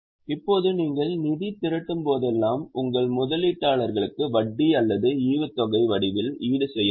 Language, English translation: Tamil, Now, whenever you raise funds funds you have to compensate your investors in the form of interest or dividend